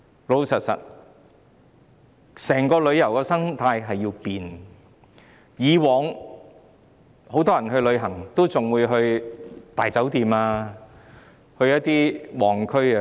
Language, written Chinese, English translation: Cantonese, 老實說，整體旅遊生態正在改變，以往很多人出外旅行也會在大酒店或到旺區住宿。, To be honest the overall tourism ecosystem is changing . When travelling abroad in the past many people would stay at big hotels or in vibrant areas